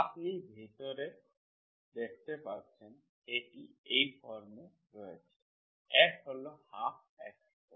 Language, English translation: Bengali, You can see inside, inside is of this form, F is 1 by2 x square